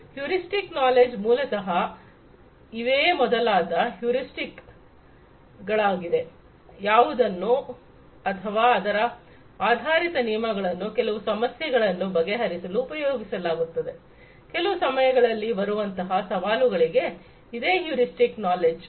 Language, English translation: Kannada, Heuristic knowledge is basically you know these different heuristics that will or the rules of thumb that will have to be used in order to address certain problems, certain challenges at different points of time that is heuristic knowledge